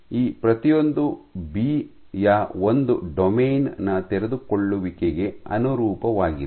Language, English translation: Kannada, So, each of these L corresponds to unfolded unfolding of one domain of B